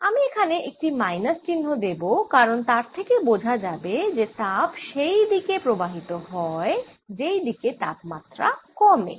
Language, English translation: Bengali, i am going to put a minus sign here because that tells you that flows in the direction of lowering temperature